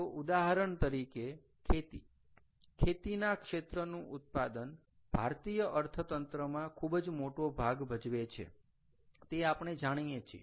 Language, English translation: Gujarati, ok, so agriculture, for example, the output of this, plays a major role in indian economy